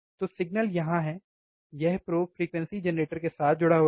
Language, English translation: Hindi, So, the the signals are here which is holding the probe, this probe is connected with the frequency generator